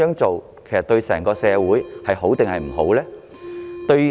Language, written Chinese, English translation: Cantonese, 這對整個社會孰好孰壞呢？, Will this do any good or harm to the entire community?